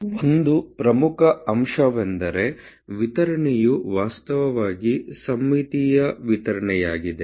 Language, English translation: Kannada, And one important very important point that distribution is actually symmetrical distribution ok